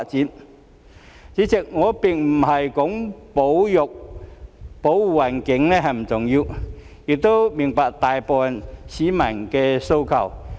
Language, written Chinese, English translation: Cantonese, 代理主席，我並不是說保護環境不重要，亦明白大部分市民的訴求。, Deputy President I am not saying that protecting the environment is not important . I also understand the aspirations of the majority of the public